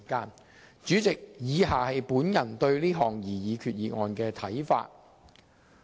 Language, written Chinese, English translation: Cantonese, 代理主席，以下是我對這項擬議決議案的看法。, Deputy President the following are my views on the proposed resolution